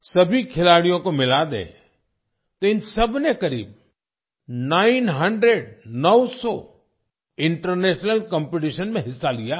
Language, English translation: Hindi, If we take all the players together, then all of them have participated in nearly nine hundred international competitions